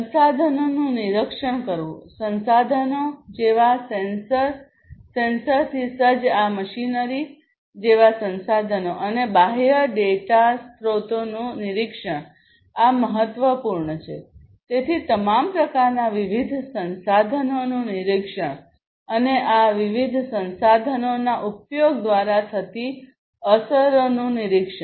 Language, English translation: Gujarati, Monitoring the resources; resources such as sensors, sensor equipped resources such as this machinery and monitoring the external data sources, these are important; so monitoring of all kinds of different resources and also the monitoring of the effects through the use of these different resources